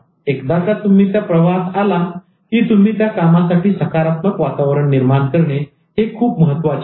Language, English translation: Marathi, Now once you get into the flow, it's very important that you create a positive environment to work